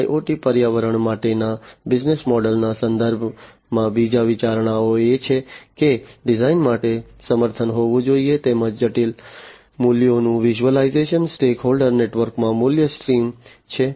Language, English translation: Gujarati, The second consideration with respect to the business models for IoT environments is that there should be support for design as well as the visualization of complex values is value streams within the stakeholder network